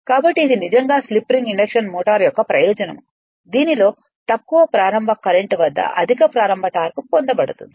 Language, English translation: Telugu, So, next is this indeed is the advantage of the slip ring induction motor, in which high starting torque is obtained at low starting current